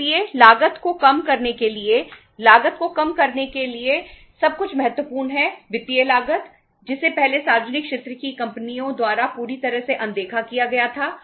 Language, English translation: Hindi, So for reducing the cost, for reducing the cost everything is important, the financial cost, which was totally ignored earlier by the public sector companies